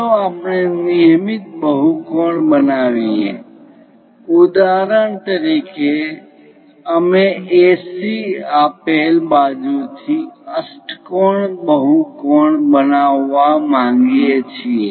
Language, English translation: Gujarati, Let us construct a regular polygon; for example, we will like to make octagonal polygon constructed from AC given side